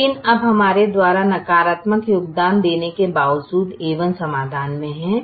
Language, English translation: Hindi, but now, in spite of contribution, a one is in the solution